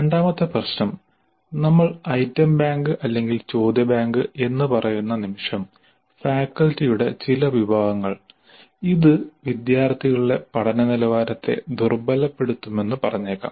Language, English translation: Malayalam, The second issue is that the moment we say item bank or question bank or anything like that, certain segment of the faculty might consider that this will dilute the quality of learning by the students